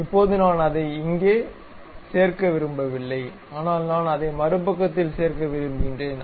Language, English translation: Tamil, Now, I do not want to really lock it here, but I want to lock it on the other side